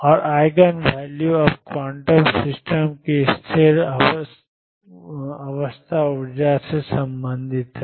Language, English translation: Hindi, And eigenvalues are now related to the stationary state energies of a quantum system